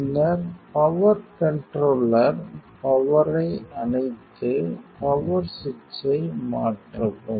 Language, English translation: Tamil, Then switch off the power controller power and switch power switch